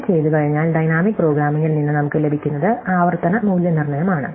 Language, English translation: Malayalam, And having done this, what we get from dynamic programming is iterative evaluation